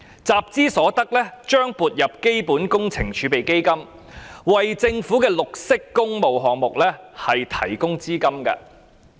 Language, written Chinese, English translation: Cantonese, 集資所得將撥入基本工程儲備基金，為政府的綠色工務項目提供資金。, The sums borrowed would be credited to the Capital Works Reserve Fund CWRF to provide funding for green public works projects of the Government